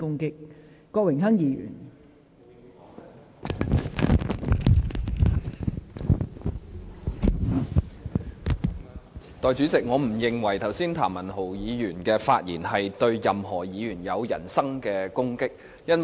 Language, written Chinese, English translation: Cantonese, 代理主席，我不認為剛才譚文豪議員的發言對任何議員有人身攻擊。, Deputy President I do not think what Mr Jeremy TAM has said just now is a personal attack against any Member